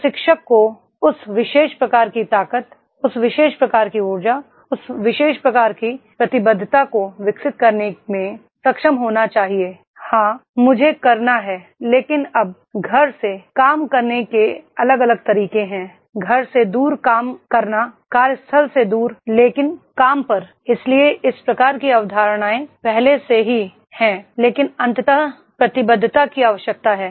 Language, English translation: Hindi, Trainer should be able to develop that particular type of the vigour, that particular type of the energy, that particular type of commitment that is yes I have to do, now however there are different ways of working work from home, work away from home, away from the workplace but at work, so these type of concepts are already there but ultimately commitment is required